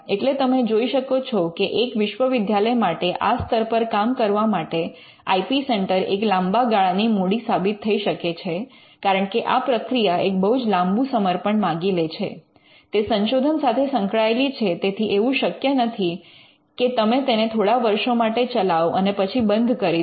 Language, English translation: Gujarati, Now, you will understand that for a university to involve at operations on this scale, the IP centre has to be a long term investment because of the expenses involved because of the long term commitment, it is tied to the research, it is not something you can run for few years and then shut down